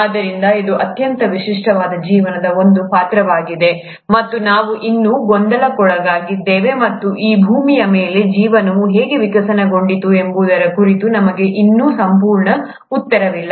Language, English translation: Kannada, So, this is one character of life which is very unique, and we are still puzzled and we still don’t have a complete answer as to life, how a life really evolved on this earth